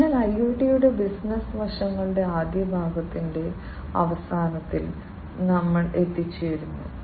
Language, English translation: Malayalam, So, with this we come to an end of the first part of the business aspects of IoT